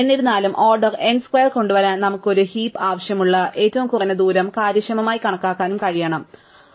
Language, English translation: Malayalam, However, in order to bring that the order n square, we also need to able to compute the minimum distance efficiently for which we need a heap, right